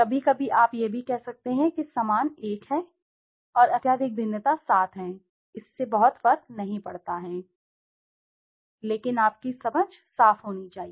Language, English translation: Hindi, Sometimes you can also say highly similar is one and highly dissimilar is 7, it does not make much of a difference, and does not matter, but your understanding has to be clean